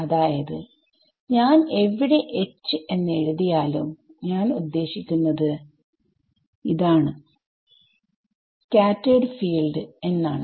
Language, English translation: Malayalam, So, I should make one clarification here wherever, I write H I actually mean h s, the scattered field right